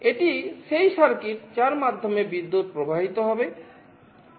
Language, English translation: Bengali, This is the circuit through which the current will be flowing